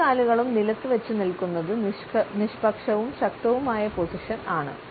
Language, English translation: Malayalam, Standing with both feet on the ground is a neutral yet powerful standing position